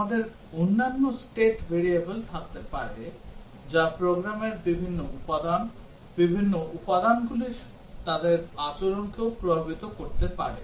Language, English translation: Bengali, We might have other state variables, which might also affect different components of the program, their behaviour of the different components